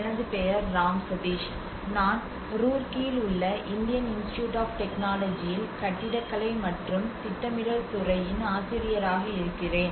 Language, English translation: Tamil, My name is Ram Sateesh, I am Assistant professor, Department of Architecture and planning, IIT Roorkee